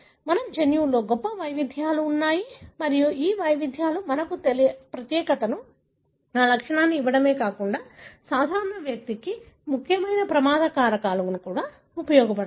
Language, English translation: Telugu, We have rich variations in our genome and these variations not only gives us uniqueness, a property, but also can serve as important risk factors for common disease